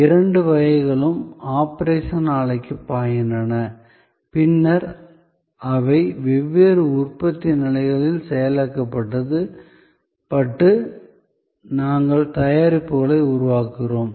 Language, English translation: Tamil, Both types flow to the operation plant and then, they are processed through different manufacturing stages and we create products